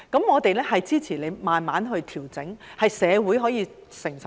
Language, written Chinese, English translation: Cantonese, 我們支持慢慢調整，令社會能夠承受。, We support a slow adjustment so that the community can cope with it